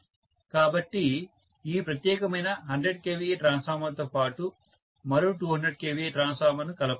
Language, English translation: Telugu, So, rather than that along with this particular 100 kVA transformer maybe another 200 kVA transformer was added, one more 200 kVA